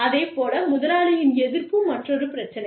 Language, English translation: Tamil, Employer opposition is another issue